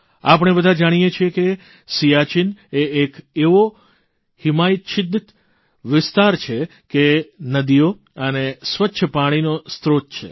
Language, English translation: Gujarati, We all know that Siachen as a glacier is a source of rivers and clean water